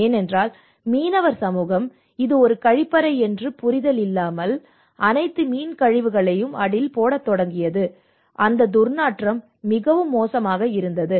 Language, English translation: Tamil, Because the fishermen community what they did was they did not understand it was a toilet and they started putting a whole the fish dirt into that, and it was like foul smell and people are living in a very unhygienic environment